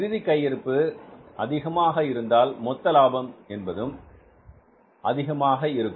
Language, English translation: Tamil, If the closing stock value is high, the profit, the gross profit will be high